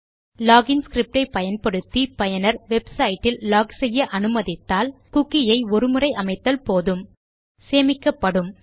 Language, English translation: Tamil, If you are using a log in script and you let the user log into your website, you would need to issue this only once and then the cookie will be stored